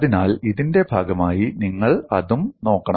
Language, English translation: Malayalam, So, you should also look at that as part of this